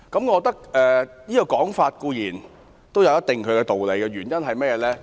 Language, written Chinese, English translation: Cantonese, 我認為這說法有一定道理，原因是甚麼？, I think this saying is valid to some extent . Why?